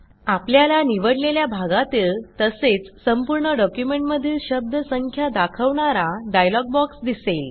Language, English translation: Marathi, A dialog box appears which shows you the word count of current selection and the whole document as well